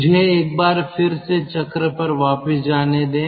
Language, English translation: Hindi, let me go back to the cycle once again